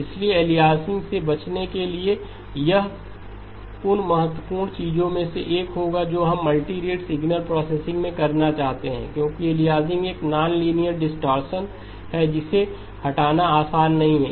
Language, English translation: Hindi, So to avoid aliasing that would be one of the important things that we would want to do in multirate signal processing because aliasing is a nonlinear distortion removing it is not easy